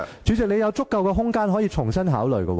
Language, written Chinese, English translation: Cantonese, 主席，你有足夠空間可重新考慮。, President there is ample room for you to consider the issue again